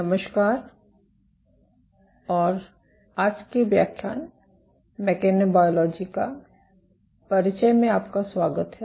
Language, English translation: Hindi, Hello, and welcome to today’s lecture of Introduction to Mechanobiology